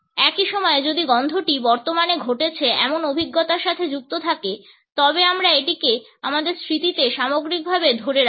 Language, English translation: Bengali, At the same time if the smell is associated with a currently occurring experience, we retain it in our memory in totality